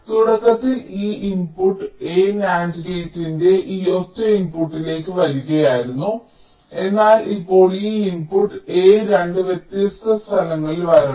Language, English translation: Malayalam, initially this input a was coming to this single input of nand gate, but now this input a must come to two different places